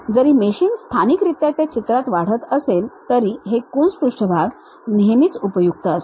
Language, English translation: Marathi, Even meshing, may be locally zooming into that picture, this Coons surfaces always be helpful